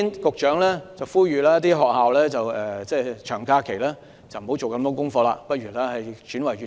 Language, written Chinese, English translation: Cantonese, 局長呼籲學校在長假期不要給學生大量功課，或轉為閱讀。, The Secretary has urged schools not to give too much homework to students or change it to reading